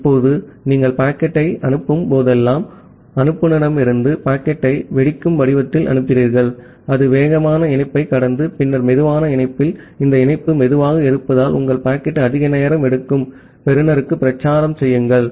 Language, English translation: Tamil, Now, whenever you are sending the packet, so you are sending the packet from the sender in the form of a burst, that traverse the faster link, then in the slower link, because this link is slower, your packet will take more time to propagate to the receiver